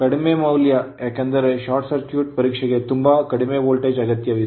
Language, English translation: Kannada, high volt because, short circuit test it require very low voltage right